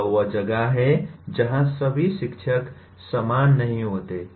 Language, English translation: Hindi, This is where what happens is all teachers are not the same